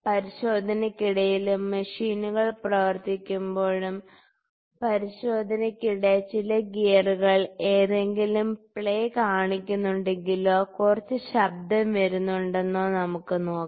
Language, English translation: Malayalam, It is used while inspection, when the machines are running and during inspection we can see that which gear if some of the gears is showing some play or some voice is coming